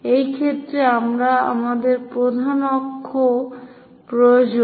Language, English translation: Bengali, In this case, we require major axis